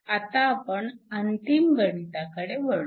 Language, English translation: Marathi, Let us now go to the last problem